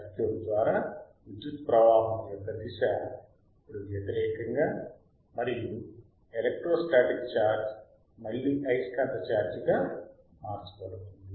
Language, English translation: Telugu, So, by tThe direction of the current again through the circuit is now opposite and again the electro static charge getsis converted to the magnetic charge again